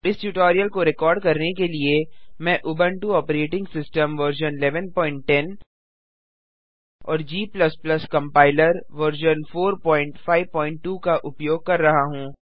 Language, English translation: Hindi, To record this tutorial, I am using Ubuntu operating system version 11.10 and G++ Compiler version 4.5.2 on Ubuntu